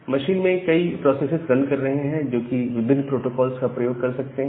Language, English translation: Hindi, And then in a machine there are multiple processes running, they can use different protocols